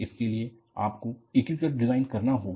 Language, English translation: Hindi, You have to have an integrated design